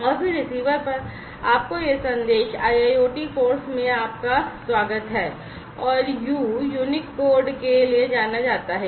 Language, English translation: Hindi, And then at the receiver, you know you are going to receive this message ‘welcome to IIoT course’ and u stands for unique code